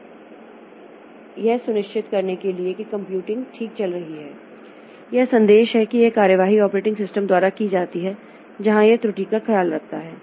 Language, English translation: Hindi, So, that way, so for ensuring that computing goes on fine, so this message is, this action is taken by the operating system where it takes care of the error